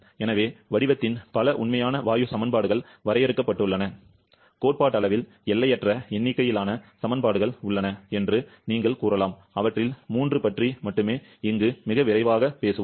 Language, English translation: Tamil, So, there are several real gas equation of state defined, you can say theoretically infinite number of such equations exist, we shall be talking only about 3 of them here very quickly